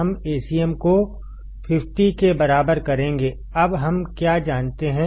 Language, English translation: Hindi, We will get Acm equals to 50; now what do we know